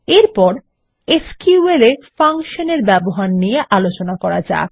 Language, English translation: Bengali, Next, let us learn about using Functions in SQL